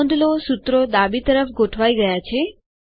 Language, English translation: Gujarati, Notice that the formulae are left aligned now